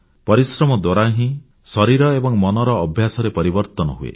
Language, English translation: Odia, Only then will the habit of the body and mind will change